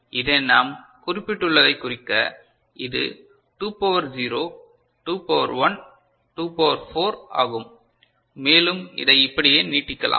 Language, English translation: Tamil, So, to indicate that we have mentioned this is 2 to the power 0, 2 to the power 1 is 2, 2 to the power 2 is 4 and you can think of you know, extending it beyond that right